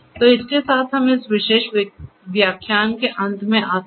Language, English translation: Hindi, So, with this we come to an end of this particular lecture